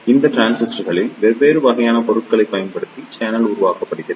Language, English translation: Tamil, In these transistors, the channel is made by using different type of materials